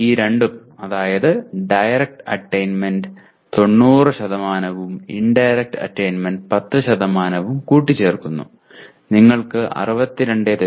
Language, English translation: Malayalam, And you combine these two by 90% for direct attainment and 10% for indirect attainment and you have the third column that is showing 62